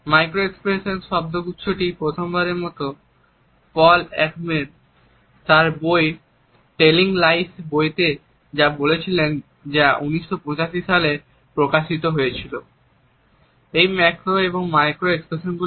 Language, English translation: Bengali, The phrase micro expressions was used for the first time by Paul Ekman in his book Telling Lies which had come out in 1985